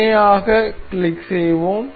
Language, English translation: Tamil, Let us click on parallel